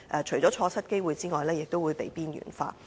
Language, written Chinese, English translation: Cantonese, 除了錯失機會外，亦會被邊緣化。, Apart from letting opportunities slip by Hong Kong would also be marginalized